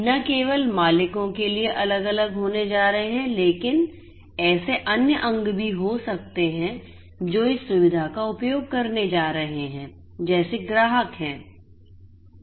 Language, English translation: Hindi, There are going to be different not just the owners, but there could be different other actors who are going to use this facility like let us say customers